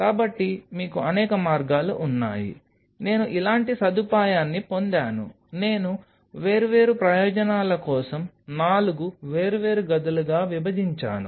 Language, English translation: Telugu, So, there are you have multiple ways suppose I get a facility like this, I split up into four different chambers for different purpose